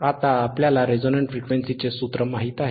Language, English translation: Marathi, Now, we know the formula for resonant frequency, we know the formula for resonant frequency